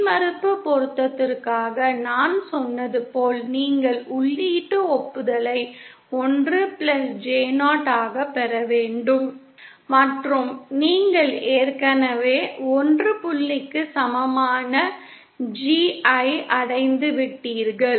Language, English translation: Tamil, So as I said for impedance matching you have to obtain the input admittance as 1 plus J 0 and you have already achieved the G equal to 1 point